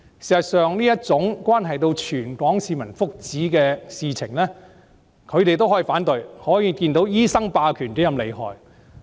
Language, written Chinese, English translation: Cantonese, 事實上，這種關係到全港市民福祉的事情，他們也能反對，可見醫生霸權是多麼厲害。, Actually that they could oppose such matters having a bearing on the well - being of all the people of Hong Kong is thus evident how awful the doctors hegemony is